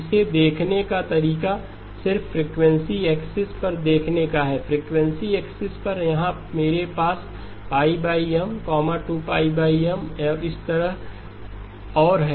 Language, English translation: Hindi, The way to look at it is look at just on the frequency axis; on the frequency axis here I have pi over M, 2pi over M and so on right